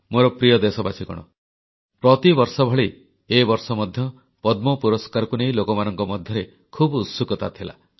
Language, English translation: Odia, My beloved countrymen, this year too, there was a great buzz about the Padma award